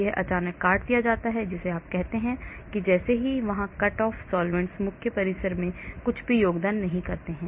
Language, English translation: Hindi, that is sudden cut off which you say as soon as the cut off here solvents here do not contribute anything to the main compound